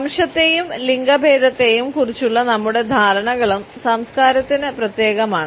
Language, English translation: Malayalam, Our understandings of race and gender are also culture specific